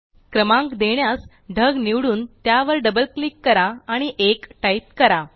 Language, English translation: Marathi, To insert the numbers, lets select this cloud, double click and type 1